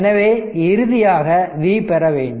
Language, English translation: Tamil, So, we have to final you have to get the v